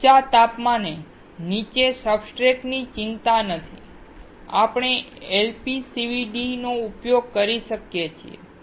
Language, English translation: Gujarati, No worry about high temperature as for the substrates beneath, we can use LPCVD